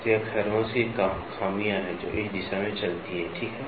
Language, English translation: Hindi, So, this is the flaws scratch which is there, so which runs along this direction, ok